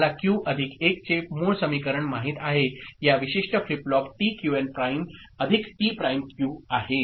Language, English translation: Marathi, We know the basic equation of Q plus 1 sorry that is T Qn prime plus T prime Qn for this particular flip flop right